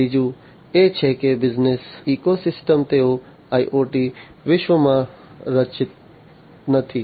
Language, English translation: Gujarati, The third one is that the business ecosystems, they are not structured in the IoT world